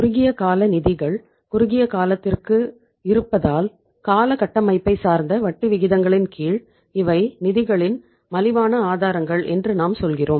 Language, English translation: Tamil, And we are saying that since short term funds are for the shorter durations under term structure of interest rates they are cheaper sources of the funds